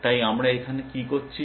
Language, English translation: Bengali, So, what are we doing now